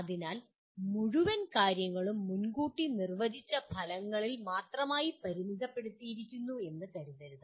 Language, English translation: Malayalam, So one should not consider the entire thing is limited to only pre defined outcomes